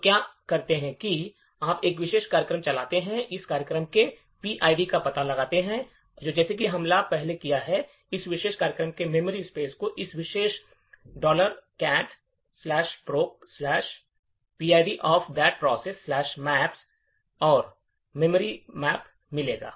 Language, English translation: Hindi, So, what you can do is you could run a particular program, find out that PID of that program and as we have done before looked at the memories space of that particular program by this particular command cat /proc the PID value of that particular process /maps and you would get the memory map